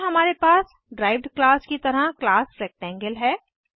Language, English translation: Hindi, Then we have class Rectangle as a derived class